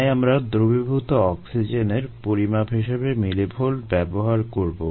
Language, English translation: Bengali, so we are going to us ah millivolts as measure of dissolved oxygen